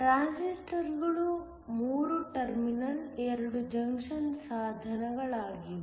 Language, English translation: Kannada, Transistors are 3 terminal, 2 junction devices